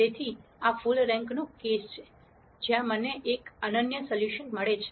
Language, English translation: Gujarati, So, this is a case of full rank where I get an unique solution